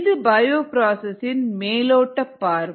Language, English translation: Tamil, this is an overview of the bioprocess